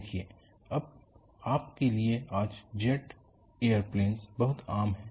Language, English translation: Hindi, See, what you will haveto look at is now, jet air planes are very common